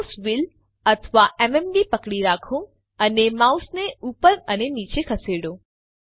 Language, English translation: Gujarati, Hold the Mouse Wheel or the MMB and move the mouse up and down